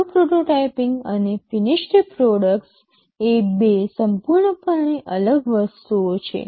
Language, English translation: Gujarati, Well, prototyping and finished products are two entirely different things